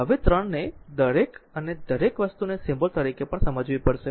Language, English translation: Gujarati, Now, 3 you have to understand each and everything as symbol also